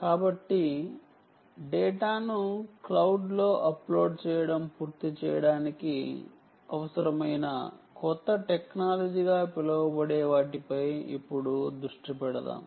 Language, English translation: Telugu, let us now focus on um, what is known as a new technology required for the completion of uploading data to the cloud